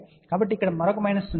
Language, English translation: Telugu, So, there will be a another minus here